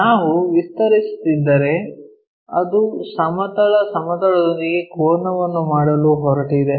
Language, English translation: Kannada, If we are extending that is going to make an angle with the horizontal plane